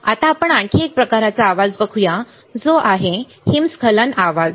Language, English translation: Marathi, Now, let us one more kind of noise which is your avalanche noise